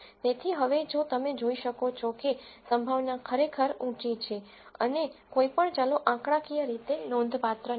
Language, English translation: Gujarati, So, now if you can see the probability is really really high and none of the variables are statistically significant